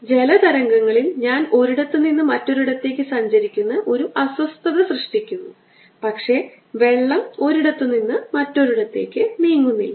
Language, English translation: Malayalam, similarly, in water waves i create a disturbance that travels from one place to the other, but water does not go from one place to other